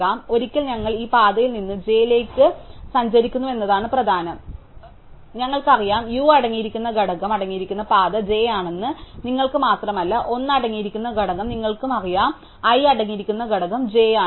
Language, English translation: Malayalam, So, the key is that once we have traversed this path from u to j, we know is some sense that not only do you know that the path containing to component containing u is j, we know the component containing l is j you also know the component containing i is j